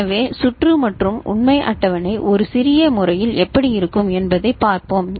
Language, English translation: Tamil, So, let us see the circuit and how the truth table looks like in a compact manner